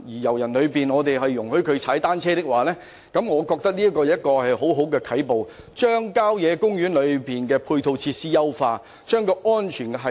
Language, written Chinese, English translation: Cantonese, 我認為如能容許遊人踏單車，將會是很好的啟步，既能優化郊野公園內的配套設施，亦能提高安全系數。, I consider it a good start if visitors are allowed to cycle in country parks which can enhance the ancillary facilities of country parks while raising the safety coefficient